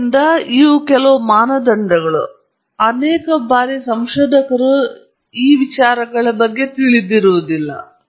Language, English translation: Kannada, So, these are some criteria and very often many of the researchers may not be aware of this